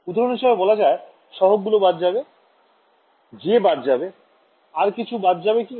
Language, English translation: Bengali, For example, the exponential cancels off, the j cancels off, anything else cancels off